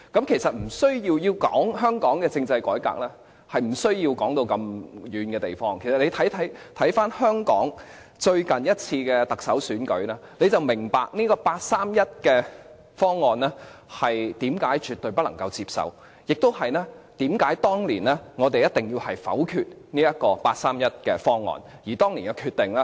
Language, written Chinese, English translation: Cantonese, 其實要討論香港政制改革是無需提到那麼遠的地方，其實大家只需看回香港最近一次的特首選舉，便明白八三一方案為何絕對不能接受，以及為何我們當年一定要否決八三一方案。, Actually there is no need for us to refer to places far away in the discussion of constitutional reform in Hong Kong . If we simply look back on the recent Chief Executive Election we can understand why the 31 August proposals are absolutely unacceptable and why we had to veto the proposals at that time